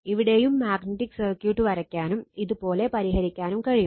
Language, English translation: Malayalam, Here also we can draw the magnetic circuit, and we can solve like this right